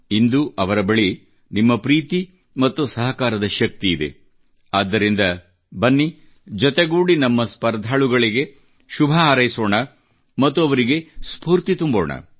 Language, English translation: Kannada, Today, they possess the strength of your love and support that's why, come…let us together extend our good wishes to all of them; encourage them